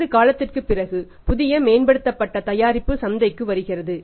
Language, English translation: Tamil, Then the same after sometime the new advanced upgraded product comes in the market